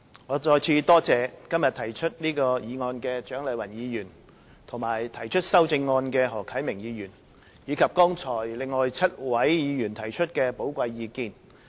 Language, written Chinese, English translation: Cantonese, 我再次多謝今天提出這項議案的蔣麗芸議員和提出修正案的何啟明議員，以及另外7位議員剛才提出寶貴意見。, Once again I thank Dr CHIANG Lai - wan who proposed this motion and Mr HO Kai - ming who proposed the amendment as well as seven other Members for their valuable input today